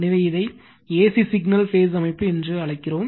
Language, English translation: Tamil, So, what you call it is your AC signal phase system